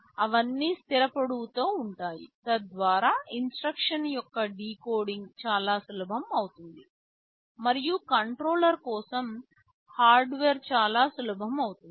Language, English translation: Telugu, They are all of fixed length so that decoding of the instruction becomes very easy, and your the hardware for the controller becomes very simple ok